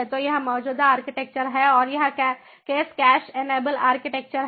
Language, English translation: Hindi, so this is the architecture of caching, so this is the existing architecture and this is the case cache enabled architecture